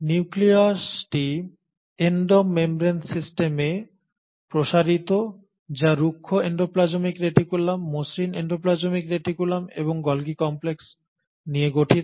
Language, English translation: Bengali, The nucleus keeps on extending into Endo membrane system which consists of rough endoplasmic reticulum, the smooth endoplasmic reticulum and the Golgi complex